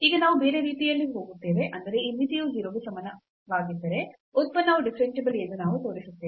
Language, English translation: Kannada, So now we will go the other way round; that means, if this limit is equal to 0 we will show that the function is differentiable